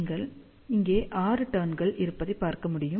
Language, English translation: Tamil, So, you can just see that there are 6 turns are there